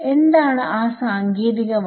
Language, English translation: Malayalam, What is that word, technical word